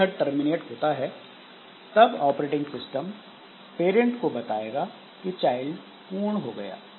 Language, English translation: Hindi, So, when it terminates, so this operating system will notify the parent that the child is over and the child is over